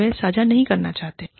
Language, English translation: Hindi, They do not want to share it